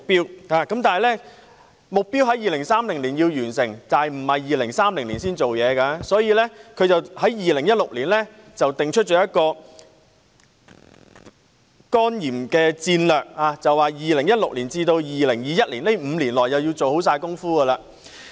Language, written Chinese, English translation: Cantonese, 雖然世衞將完成目標的時間定於2030年，但相關工作並不是待2030年才開始，所以，世衞在2016年定出了一個對付肝炎的戰略，要在2016年至2021年的5年內完成工作。, Although the target completion date has been set for 2030 the relevant work will not be put on the back burner until 2030 . That is why WHO developed a strategy for tackling hepatitis in 2016 and decided to complete the relevant work within the five years from 2016 to 2021